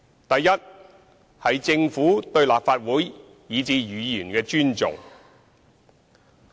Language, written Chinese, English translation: Cantonese, 第一，政府對立法會以至議員的尊重。, First the Governments respect for the Legislative Council and Members